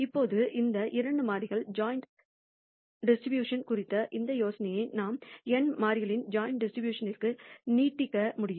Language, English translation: Tamil, Now, we can now extend this idea of joint distribution of two variables to joint distribution of n variables